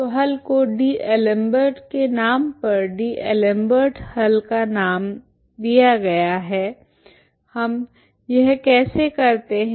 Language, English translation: Hindi, So D'Alembert s solution as given the solution so named after D'Alembert s solution is, how do we do this